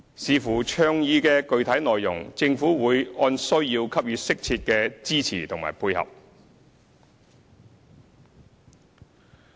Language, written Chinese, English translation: Cantonese, 視乎倡議的具體內容，政府會按需要給予適切的支持和配合。, Depending on the specific details of the initiatives the Government will provide appropriate support and cooperation as needed